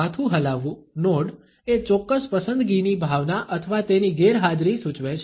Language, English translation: Gujarati, Head nod suggest a particular sense of likability or its absence